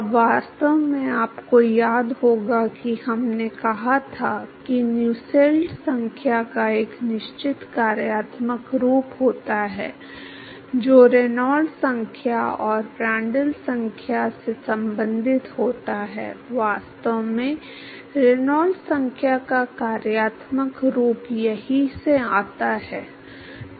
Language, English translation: Hindi, Now, in fact, you may recall that we said that Nusselt number has a certain functional form which is related to Reynolds number and Prantl number in fact, that functional form of Reynolds number comes from here